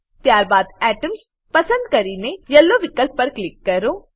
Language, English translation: Gujarati, Then select Atoms and click on Yellow options